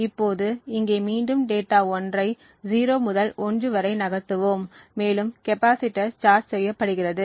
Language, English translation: Tamil, Now over here again we have data 1 moving from 0 to 1 and the power is used to actually charge the capacitor